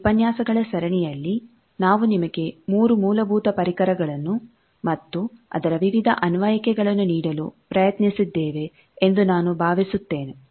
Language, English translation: Kannada, Now, I hope that in this series of lectures, we have tried to give you the 3 fundamental tools and various applications of that also, lot of problems have been solved in tutorials